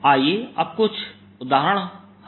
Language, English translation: Hindi, let us now solve a few examples